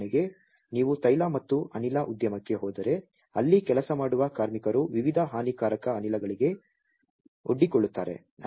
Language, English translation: Kannada, For example, if you go for oil and gas industry the workers working there are exposed to different harmful gases